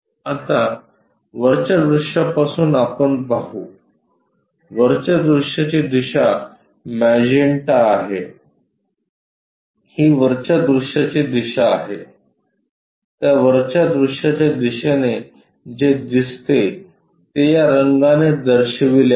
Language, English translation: Marathi, Now let us look at from top view the top view direction is magenta this is the top view direction, in that top view direction what is visible is shown by this color